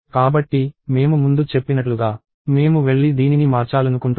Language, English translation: Telugu, So, as I said earlier I want to go and change this